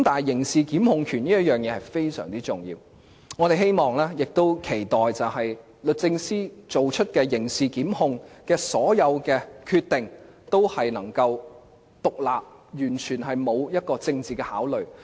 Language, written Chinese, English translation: Cantonese, 刑事檢控權非常重要，我們希望並且期待律政司作出刑事檢控的所有決定，均能夠獨立，完全不存在政治考慮。, The power of criminal prosecutions is very important and we hope and expect that the Department of Justice can remain independent when making all the decisions on criminal prosecutions in a way that is completely free from political considerations